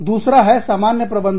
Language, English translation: Hindi, The other one is, common management